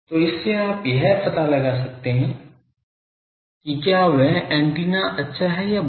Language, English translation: Hindi, So, from that you can find out that whether that antenna is good or bad at your directed one